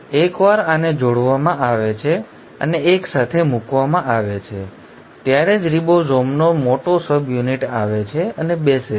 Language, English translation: Gujarati, Once these are juxtaposed and are put together only then the large subunit of ribosome comes and sits